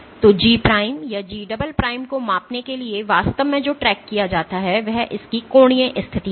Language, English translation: Hindi, So, for measuring some for measuring G prime or G double prime, what is actually tracked is the angular position of this